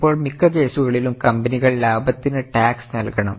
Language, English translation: Malayalam, Now, most of the cases, companies have to pay tax on profits